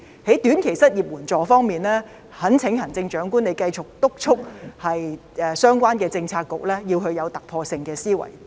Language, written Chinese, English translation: Cantonese, 在短期失業援助方面，懇請行政長官繼續督促相關政策局要有突破性思維。, As regards short - term unemployment assistance I implore the Chief Executive to continue to urge the relevant Policy Bureaux to adopt breakthrough thinking